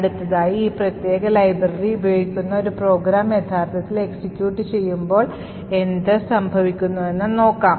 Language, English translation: Malayalam, Next, we see what happens when we actually execute a program that uses this particular library